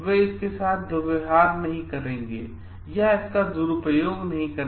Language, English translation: Hindi, They will not going to mishandle or misuse it